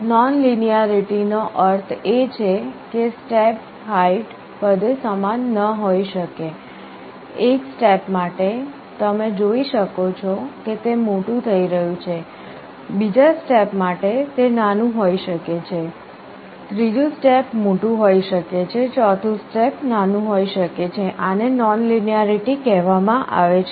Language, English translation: Gujarati, Nonlinearity means the step height may not all be equal, for one step you may see that it is going big, second step may be small, third step may be big, fourth step may be small, this is called nonlinearity